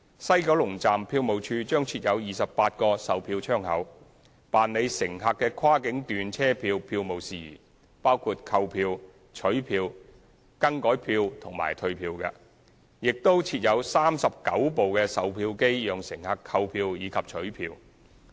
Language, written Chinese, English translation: Cantonese, 西九龍站票務處將設有28個售票窗口，辦理乘客的跨境段車票票務事宜，包括購票、取票、改票及退票，亦會設有39部售票機讓乘客購票及取票。, The ticket office at WKS with 28 counters will handle cross boundary journey ticketing matters including buying collecting changing and returning of tickets for passengers . There will also be 39 ticket vending machines for passengers to buy and collect their tickets